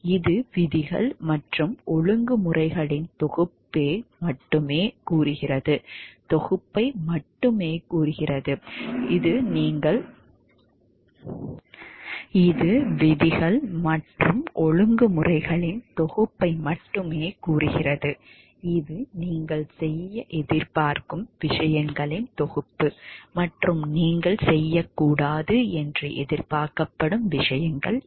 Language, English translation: Tamil, It only states given the set of rules and regulations this is the set of things that you are expected to do and, these are the things that you are expected not to do